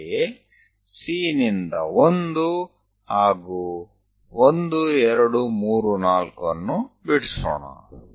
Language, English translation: Kannada, So, C to 1, let us draw it 1, 2, 3, 4